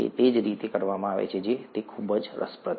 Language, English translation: Gujarati, It is, very interesting, the way it is done